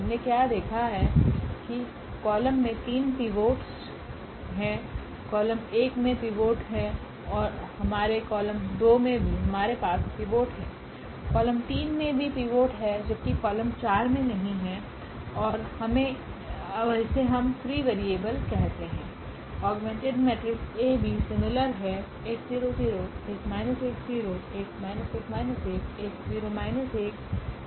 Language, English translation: Hindi, What we have observed that there are these 3 pivots in column 1 we have pivot, in column 2 also we have pivot, column 3 also has a pivot while the column 4 does not have a pivot and this is what we call the free variable